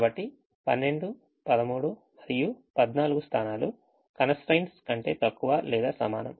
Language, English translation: Telugu, so position twelve, thirteen and fourteen: they are the less than or equal to constraints